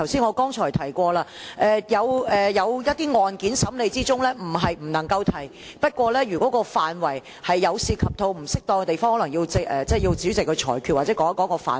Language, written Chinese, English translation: Cantonese, 我剛才提過，有一些案件在審理中，不是不能夠提及，不過，如果範圍涉及到不適當的地方，可能要主席裁決或指出相關範圍。, As I mentioned earlier if some cases are in sub judice they can still be mentioned . But when some areas are being inappropriately touched upon the President may have to make a ruling or specify the areas concerned